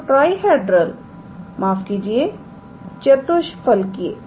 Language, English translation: Hindi, So, trihedral sorry not tetrahedral